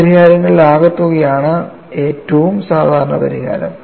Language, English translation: Malayalam, And the most general solution is the sum of all these solutions